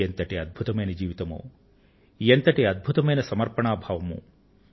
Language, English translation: Telugu, What a wonderful life, what a dedicated mission